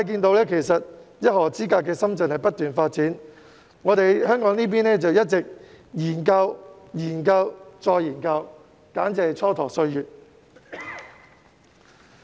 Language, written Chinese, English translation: Cantonese, 當一河之隔的深圳不斷發展，香港這邊卻一直在研究、研究及再研究，簡直是蹉跎歲月。, When Shenzhen which is just a river away keeps developing Hong Kong keeps engaging in endless studies . What a waste of time